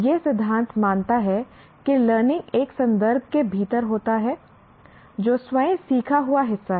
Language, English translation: Hindi, This theory considers that learning occurs within a context that is itself a part of what is learned